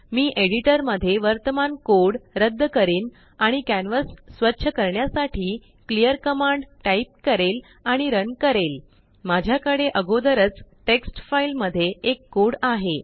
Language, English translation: Marathi, I will clear the current code from editor.type clear command and Run to clean the canvas I already have a code in a text file